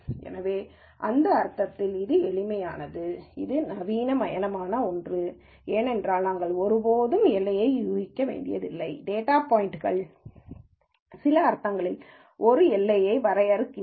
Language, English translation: Tamil, So, in that sense, its, while it is simple it is also in something sophisticated, because we never have to guess a boundary, the data points themselves define a boundary in some sense